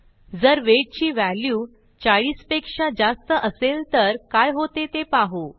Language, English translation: Marathi, Let us see what happens if the value of weight is greater than 40